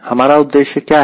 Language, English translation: Hindi, what is our aim